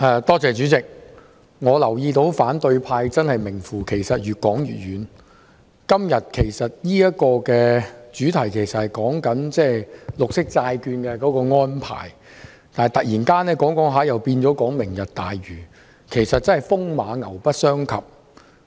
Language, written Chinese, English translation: Cantonese, 代理主席，我留意到反對派名副其實是越說越遠，今天的議題其實是綠色債券的安排，但卻突然變為討論"明日大嶼"，確實是風馬牛不相及。, Deputy President I notice that the opposition camp is actually staying farther and farther from the subject . The subject under discussion today is in fact the arrangement relating to green bonds but the discussion suddenly drifts to Lantau Tomorrow which is indeed irrelevant